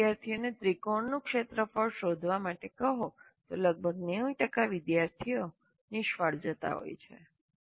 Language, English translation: Gujarati, If you ask the student to find the area of a triangle, almost 90% of the students seem to be failing